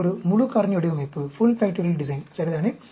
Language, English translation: Tamil, This is a full factorial design, ok